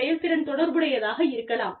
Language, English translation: Tamil, Efficiency relates to the productivity